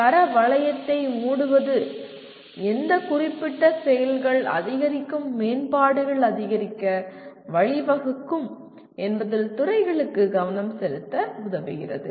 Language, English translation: Tamil, Closing the quality loop enables the departments to focus on what specific actions lead to incremental improvements